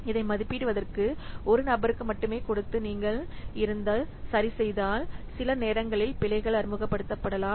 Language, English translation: Tamil, So if you are just giving only one person to estimate this, some there is some chance that errors may be introduced